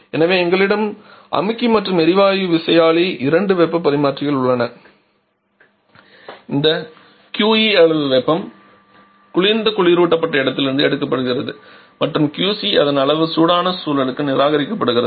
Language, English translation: Tamil, And we have two heat exchangers here this QE amount of heat is being picked up from the cold refrigerated space and QC amount of it has been rejected to the warm in surrounding